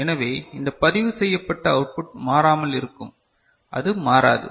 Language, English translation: Tamil, So, the value will these this registered output will remain the same, it will not change